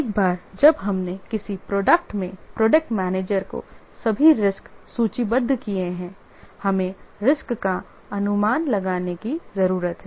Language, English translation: Hindi, Once we have listed all the risks in a project, with the project manager, we need to anticipate the risks